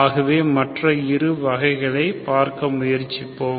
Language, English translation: Tamil, So we will try to see those 2 other cases